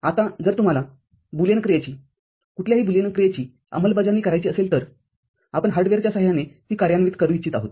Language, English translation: Marathi, Now, if you want to implement a Boolean function, any given Boolean function, we want to implement it using hardware